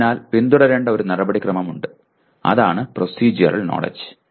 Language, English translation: Malayalam, So there is a procedure to be followed and that is procedural knowledge